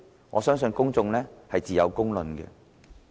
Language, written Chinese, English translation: Cantonese, 我相信自有公論。, I believe the public will give a fair judgment